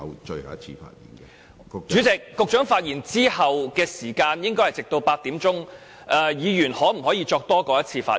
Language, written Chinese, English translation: Cantonese, 主席，局長發言後的會議時間應該直至8時為止，議員可否作多於一次的發言呢？, Chairman after the Secretary has spoken the meeting time will go on till 8col00 pm . Can Members speak more than once during that period of time?